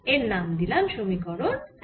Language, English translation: Bengali, let's call it again equation one